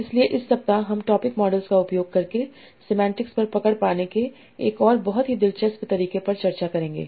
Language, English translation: Hindi, So in this week we will discuss another very interesting way of captioning semantics by using topic models